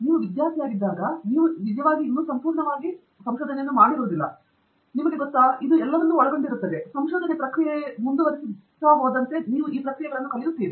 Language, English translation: Kannada, When you come in as a student, you actually still may not fully be, you know, aware of what all is involved here, and as you keep going through the process, you are learning the process